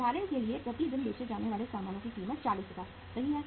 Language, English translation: Hindi, Say your for example cost of goods sold per day is how much is 40000 right